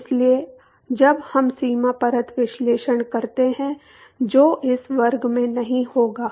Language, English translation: Hindi, So, when we do the when the boundary layer analysis which will not do in this class